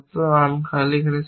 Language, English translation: Bengali, Then, arm empty is not true